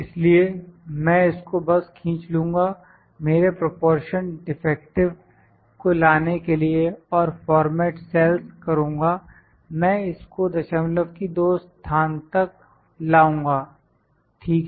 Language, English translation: Hindi, So, I will just drag this to get my proportion defective and format cells, I will bring it to two places of decimal, ok